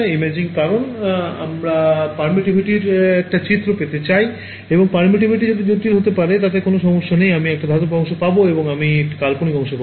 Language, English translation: Bengali, Imaging because we want to get an image of permittivity and permittivity may be complex does not matter, I will get a real part and I will get an imaginary part